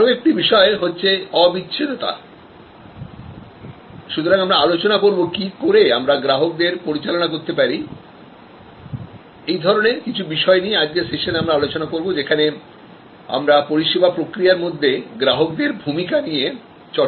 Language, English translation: Bengali, We have the other one inseparability, so we have discuss about how we kind of manage consumers, some of these issues we will discuss in today's session, where we study consumer in a services flow